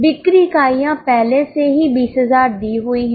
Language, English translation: Hindi, You need sale units are already given which is 20,000